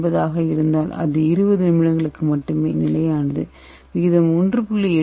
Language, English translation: Tamil, 9 it is stable for only 20 minutes and if the ratio is 1